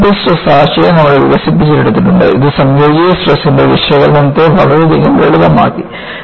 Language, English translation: Malayalam, You have the concept of principal stresses develop, which has greatly simplified the analysis of combined stresses